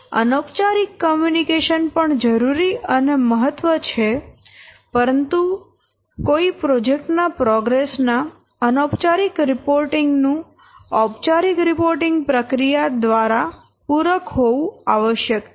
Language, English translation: Gujarati, So informal communication is also necessary and important, but whenever any such informal reporting of project progress, it is followed, it must be complemented by some formal reporting procedures